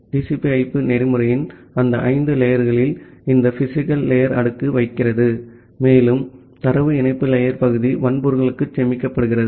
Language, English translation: Tamil, And in that five layers of the TCP/IP protocol stack this physical layer, and the part of the data link layer are stored inside the hardware